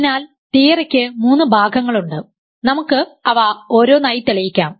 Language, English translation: Malayalam, So, theorem has three parts, let us prove them one by one